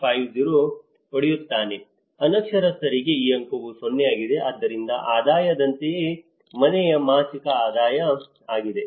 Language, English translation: Kannada, 50 so, for the illiterate this score is 0, so like that income; household monthly income